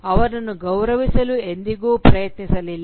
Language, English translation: Kannada, Never tried to respect them